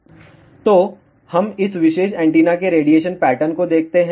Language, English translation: Hindi, So, let us see the radiation pattern of this particular antenna